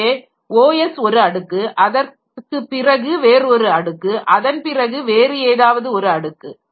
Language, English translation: Tamil, So, OS is a layer then some another layer, then some another layer